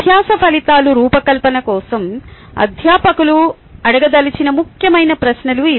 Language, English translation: Telugu, these are important questions that faculty may want to ask for designing learning outcome